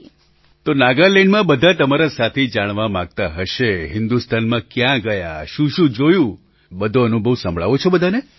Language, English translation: Gujarati, So, all your friends in Nagaland must be eager to know about the various places in India, you visited, what all you saw